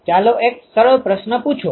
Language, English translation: Gujarati, Let us ask a simpler question